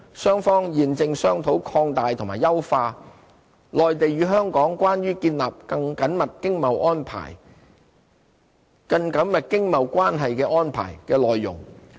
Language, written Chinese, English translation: Cantonese, 雙方現正商討擴大和優化"內地與香港關於建立更緊密經貿關係的安排"的內容。, The two sides are deliberating on expanding and enhancing the MainlandHong Kong Closer Economic Partnership Arrangement CEPA